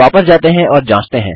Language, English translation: Hindi, Lets go back and check